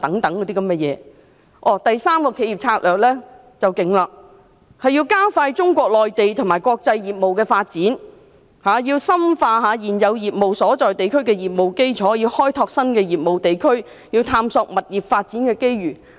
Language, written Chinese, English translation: Cantonese, 第三個企業策略最厲害，便是加快中國內地及國際業務的發展，要深化現有業務所在地區的業務基礎，要開拓新的業務地區，要探索物業發展的機遇。, Certainly modernizing MTR and upgrading its signalling systems are also included . The third corporate strategy is the most formidable one . It aims at accelerating Mainland China and International Business growth deepening presence in existing hubs developing new hubs and exploring property development opportunities in hubs